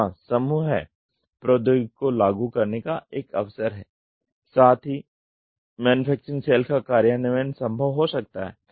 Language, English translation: Hindi, There is an opportunity to apply group technology, implementation of manufacturing cell may be possible